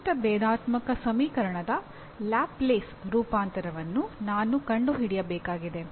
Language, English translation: Kannada, Or I have to find a Laplace transform of a given differential equation